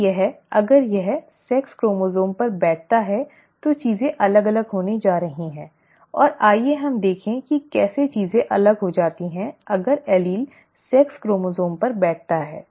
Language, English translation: Hindi, If it is, if it sits on the sex chromosomes, then things are going to be different and let us see how the things become different, if the allele sits on the sex chromosome